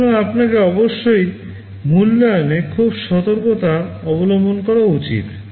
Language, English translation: Bengali, So, you must be very careful in the evaluation